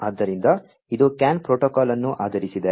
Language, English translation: Kannada, So, this you know it is based on the CAN protocol